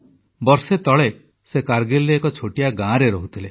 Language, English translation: Odia, Until a year ago, she was living in a small village in Kargil